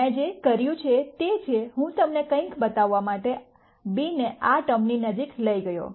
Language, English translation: Gujarati, All I have done is, I moved b closer to this term to show you something